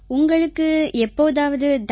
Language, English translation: Tamil, Did you ever get punishment